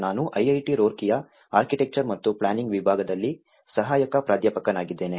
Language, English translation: Kannada, I am an assistant professor in Department of Architecture and Planning, IIT Roorkee